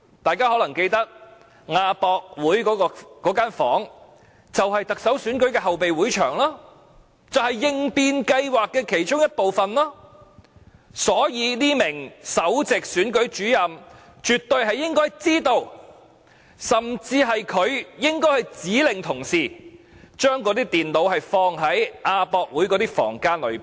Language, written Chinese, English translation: Cantonese, 大家可能記得，亞博館那間房間，即特首選舉的後備會場，就是應變計劃的其中一部分，所以這名首席選舉事務主任絕對應該知道，甚至可能是他指令同事，將那些電腦放在亞博館的房間裏。, We may remember that the room in AWE used as the fallback venue for the Chief Executive Election was part of the contingency plan for the election . So the Principal Electoral Officer should absolutely have known that the computers were kept in the room in AWE and she might even have instructed that they be kept there